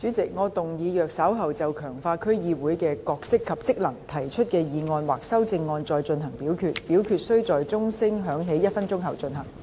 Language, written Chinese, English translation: Cantonese, 主席，我動議若稍後就"強化區議會的角色及職能"所提出的議案或修正案再進行點名表決，表決須在鐘聲響起1分鐘後進行。, President I move that in the event of further divisions being claimed in respect of the motion on Strengthening the role and functions of District Councils or any amendments thereto this Council do proceed to each of such divisions immediately after the division bell has been rung for one minute